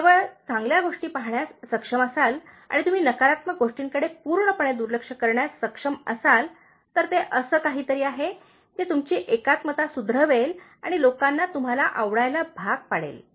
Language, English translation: Marathi, If you are able to see only the good things and if you are able to just completely ignore the negative things, so that is something that will improve our own integrity and make people like us